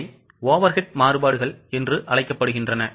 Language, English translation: Tamil, They are known as overhead variances